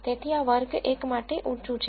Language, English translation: Gujarati, So, this is high for class 1